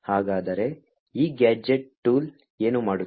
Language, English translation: Kannada, So, what this gadget tool would do